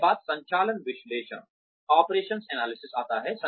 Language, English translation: Hindi, After that, comes the operations analysis